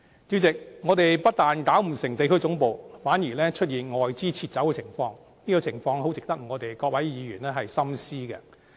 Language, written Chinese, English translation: Cantonese, 主席，我們不但設立地區總部失敗，更出現外資撤走的情況，這種情況十分值得各位議員深思。, President not only do we fail in keeping regional headquarters of foreign enterprises in Hong Kong but we also fail in preventing foreign capital from retreating . This situation is worth our thinking deeply about